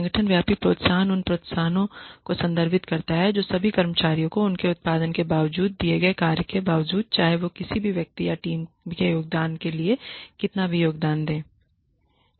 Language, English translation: Hindi, Organization wide incentives refer to the incentives that are given to all the employees irrespective of their output, irrespective of the work they put in, irrespective of how much individual contribution or team contribution they are making to the organization